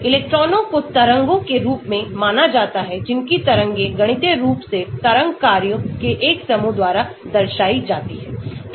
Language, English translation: Hindi, electrons are considered as wave like particles whose waviness is mathematically represented by a set of wave functions